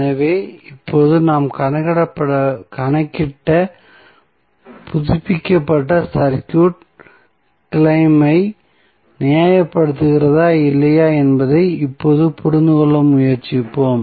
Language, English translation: Tamil, So, let us now try to understand and derive whether the updated circuit which we have just calculated justifies the claim or not